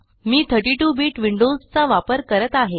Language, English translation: Marathi, I am using 32 bit Windows